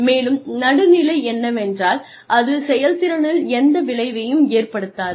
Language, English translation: Tamil, And, neutral is that, it has no effect on performance